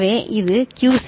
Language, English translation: Tamil, So, this is QC right